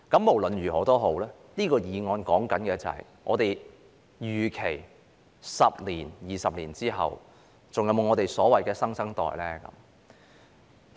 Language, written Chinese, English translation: Cantonese, 無論如何，就這項議案而言，究竟在10年、20年後，我們會否還有所謂的新生代？, Anyway with respect to this motion will we still have the so - called new generation 10 or 20 years later?